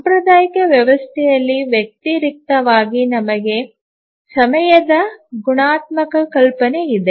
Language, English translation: Kannada, In contrast in a traditional system we have the notion of a qualitative notion of time